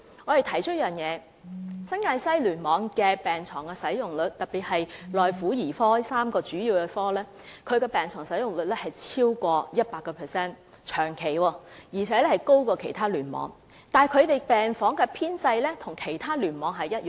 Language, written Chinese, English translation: Cantonese, 我們提出一點，便是新界西醫院聯網的病床使用率長期超過 100%， 而且高於其他醫院聯網，但病房人員的編制與其他醫院聯網的一樣。, We raised one concern the concern that the inpatient bed occupancy rates in the New Territories West Cluster were persistently over 100 % and higher than the rates in other clusters despite the fact that its ward nursing staff establishment was the same as those clusters